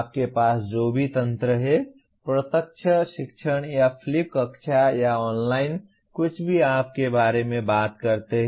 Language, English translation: Hindi, Whatever mechanism that you have, direct teaching or flipped classroom or online; anything that you talk about